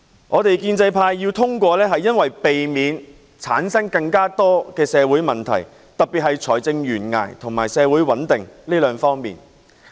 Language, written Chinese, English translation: Cantonese, 我們建制派通過預算案是為了避免產生更多社會問題，特別是關乎財政懸崖和社會穩定這兩方面。, We in the pro - establishment camp passed the Budget to avoid creating more social problems especially those involving a fiscal cliff and social stability